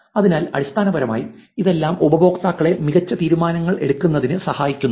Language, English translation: Malayalam, So, essentially all of this is helpful in making the, helping the users to make better decisions